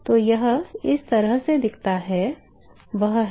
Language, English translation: Hindi, So, the way it looks at is